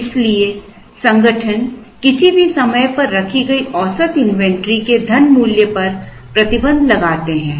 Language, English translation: Hindi, So, organizations place a restriction on the money value of the average inventory held at any point in time